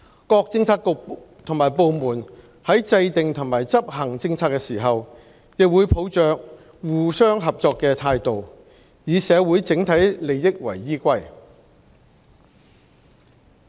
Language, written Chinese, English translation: Cantonese, 各政策局及部門在制訂及執行政策時，亦會抱着互相合作的態度，以社會整體利益為依歸。, Policy Bureaux and departments are also cooperative in policy formulation and implementation placing the overall interest of the community above all else